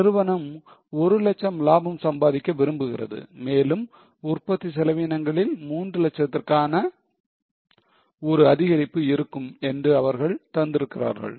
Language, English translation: Tamil, They have given that company wants to earn a profit of 1 lakh and there will be an increase in production overheads by 3 lakhs